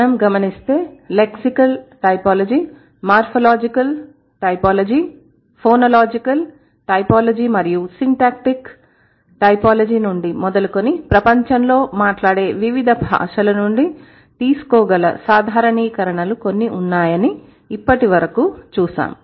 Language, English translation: Telugu, Let's say starting from lexical typology, morphological typology, phonological typology, and syntactic typology, we have seen so far there are a couple of generalizations that we can draw from various languages spoken in the world